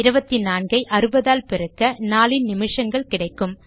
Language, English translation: Tamil, So I multiply 24 by 60 to get the number of minutes in a day